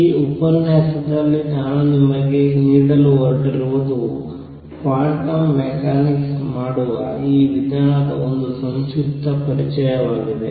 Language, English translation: Kannada, What I am going to give you in this lecture is a very brief introduction to this method of doing quantum mechanics